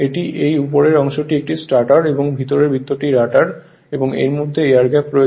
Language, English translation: Bengali, This, this upper part is a stator and inside circle is rotor and between is that air gap is there